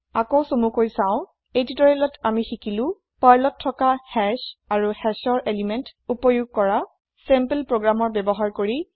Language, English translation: Assamese, In this tutorial, we learnt Hash in Perl and Accessing elements of a hash using sample programs